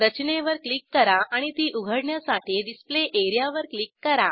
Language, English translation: Marathi, Click on the structure and click on Display area to load it